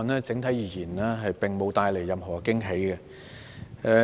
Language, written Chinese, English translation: Cantonese, 整體而言，這預算案並無帶來任何驚喜。, On the whole this Budget has not brought any surprises